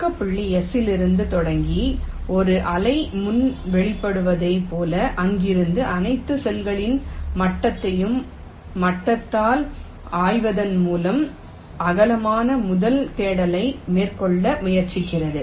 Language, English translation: Tamil, starting from the start point s, it tries to carry out a breadth first search by exploring all the adjacent cells level by level, as if a wave front is emanating